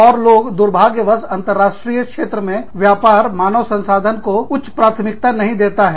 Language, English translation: Hindi, And people, unfortunately businesses, do not place a very high priority, on human resources, in the international arena